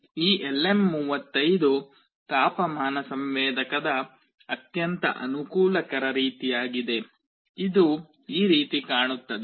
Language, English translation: Kannada, This LM35 is a very convenient kind of a temperature sensor; it looks like this